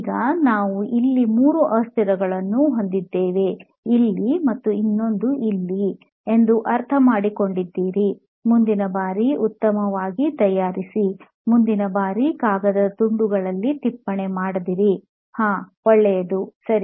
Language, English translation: Kannada, Now we have three variables two here and one more here, you understood better prepare next time, okay better notes next time not like this on pieces of paper, , , good, ok